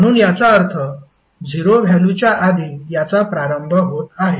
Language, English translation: Marathi, So that means that it is starting before the 0 value